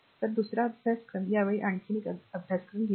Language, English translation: Marathi, Now another course another one this time we have taken